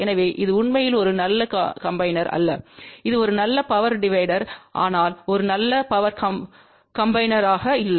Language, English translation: Tamil, So that means, this is not really a very good combiner it is a good power divider but not a good power combiner